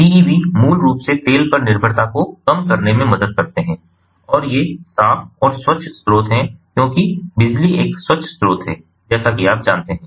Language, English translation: Hindi, pevs basically help in reducing the dependency on oil, and these are clean and clean sources, ah, ah, you know, because electricity is a clean source, so there is no pollution when running on electricity